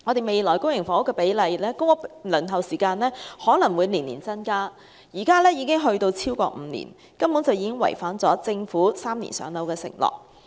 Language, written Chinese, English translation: Cantonese, 未來公屋輪候的時間可能會逐年增加，現時已經超過5年，已經違反了政府3年"上樓"的承諾。, The waiting time for public housing which is now over five years and in violation of the Governments three - year pledge may be further prolonged every year in the future